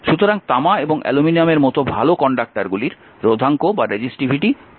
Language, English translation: Bengali, So, good conductors such as copper and aluminum have low resistivity